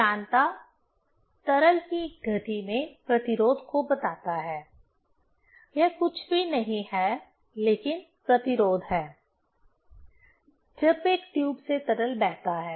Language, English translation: Hindi, Viscosity tells the resistance in motion of liquid; it is nothing, but the resistance, when liquid flows through a tube